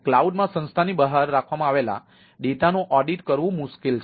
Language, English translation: Gujarati, difficult to audit data held outside organisation in a cloud